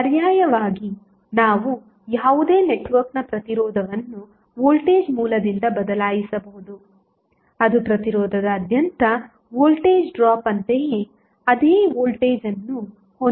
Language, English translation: Kannada, So, alternatively we can also say that the resistance of any network can be replaced by a voltage source having the same voltage as the voltage drop across the resistance which is replaced